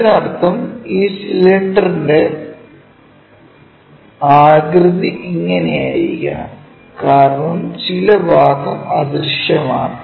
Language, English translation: Malayalam, That means, this might be the cylinder goes in that way, because some part is invisible when we are keeping